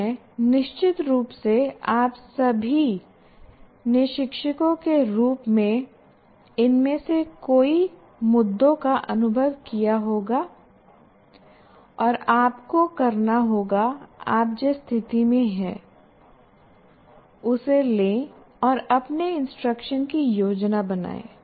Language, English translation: Hindi, Because our instruction, and I'm sure all of you as teachers would have experienced many of these issues and you have to take the situation where you are in, take that into consideration and plan your instruction